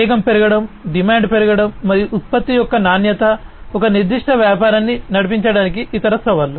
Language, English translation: Telugu, Increase in speed, increase in demand, and quality of product are the other challenges to drive a particular business